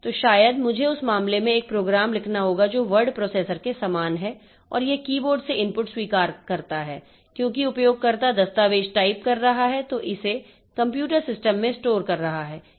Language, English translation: Hindi, So, maybe I have to write a program in that case which is similar to word processor and that accepts input from the keyboard as the user is typing the document and storing it into the computer system